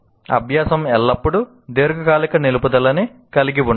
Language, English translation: Telugu, Learning does not always involve long term retention